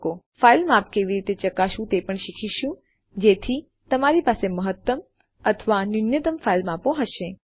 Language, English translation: Gujarati, We will also learn how to check the file size of the file so you can have a maximum or minimum file size